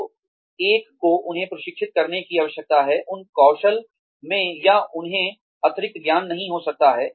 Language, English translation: Hindi, So, one needs to train them, in those skills, or, they may not have additional knowledge